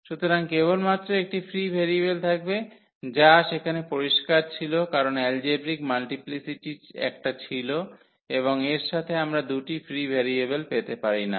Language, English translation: Bengali, So, there will be only one free variable which was clear from there also because the algebraic multiplicity was one and corresponding to that we cannot get two free variables